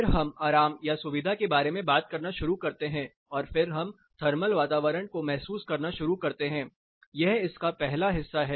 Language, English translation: Hindi, Then we start talking about comfort discomfort and then we start sensing the thermal environment, this is the first part of it